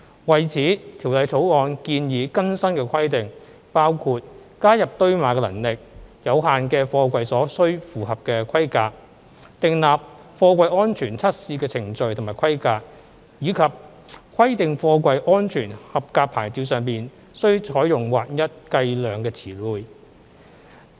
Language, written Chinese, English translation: Cantonese, 為此，《條例草案》建議更新的規定包括加入堆碼能力有限的貨櫃所須符合的規格、訂立貨櫃安全測試的程序及規格，以及規定貨櫃"安全合格牌照"上須採用劃一計量詞彙。, To this end the new requirements proposed in the Bill include those on the specifications that containers with limited stacking capacity should meet and the Bill also prescribes new safety test procedures and specifications for freight containers as well as the standardization of the terms of physical measurement to be used on the safety approval plate SAP of freight containers